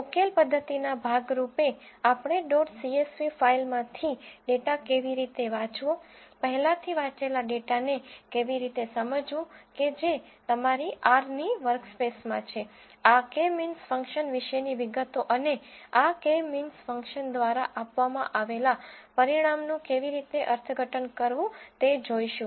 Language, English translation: Gujarati, As a part of the solution methodology, we will also introduce the following aspects such as how to read the data from dot CSV file, how to understand the already red data which is in the workspace of your R, details about this K means function and how to interpret the results that are given by this K means function